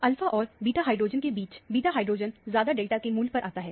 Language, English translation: Hindi, Between alpha hydrogen and beta hydrogen, the beta hydrogen will come at a higher delta value